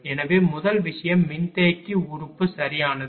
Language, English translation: Tamil, So, first thing is the capacitor element right